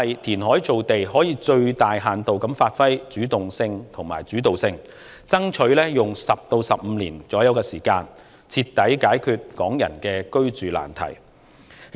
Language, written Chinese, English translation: Cantonese, 填海造地可發揮最大限度的主動性和主導性，爭取用約10至15年時間，徹底解決港人的居住難題。, Reclaiming land from the sea will make it possible to take the greatest degree of initiative and agression and strive to solve the housing problem of Hong Kong people in about 10 to15 years time